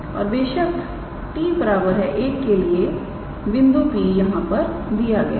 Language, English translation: Hindi, And of course, for t equals to 1 the point P is given